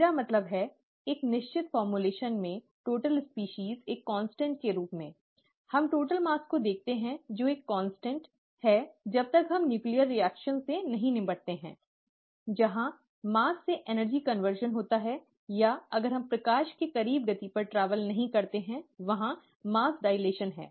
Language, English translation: Hindi, I mean total species in in a certain formulation as a constant, we look at total mass is a constant as long as we do not deal with nuclear reactions where there is mass to energy conversion, or if we do not travel at speeds close to that of light, there is mass dilation and so on